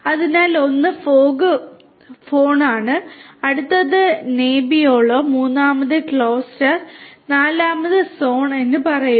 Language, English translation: Malayalam, So, one is the FogHorn, say next is Nebbiolo, third is Crosser and fourth is Sonm